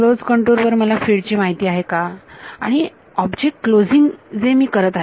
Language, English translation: Marathi, Do I know the fields on a close contour and closing the object I do